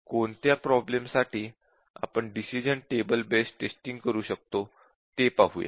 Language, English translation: Marathi, Now, let us see what are the problems where you can apply this decision table based testing